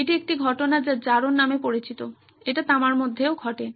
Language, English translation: Bengali, It’s the same phenomena called corrosion that happens even in copper